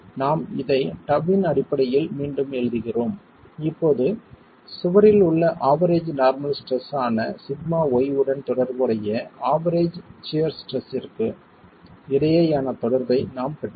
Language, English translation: Tamil, We rewrite this in terms of tau and we now have the relationship between the average shear stress related to the average normal stress sigma y in the wall itself